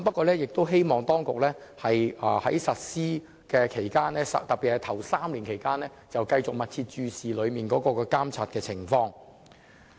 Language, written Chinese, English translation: Cantonese, 然而，我希望當局在實施期間，特別是在首3年，要繼續密切注視和監察有關情況。, However I hope that during the implementation particularly in the first three years the authorities will pay close attention to and closely monitor the relevant situation